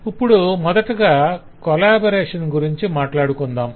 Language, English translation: Telugu, now let us first talk about the collaboration